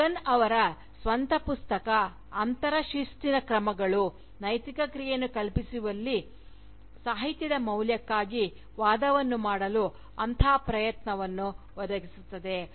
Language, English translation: Kannada, Huggan’s own Book, Interdisciplinary Measures, provides precisely such an attempt, to make an argument, for the value of Literature, in conceiving Ethical action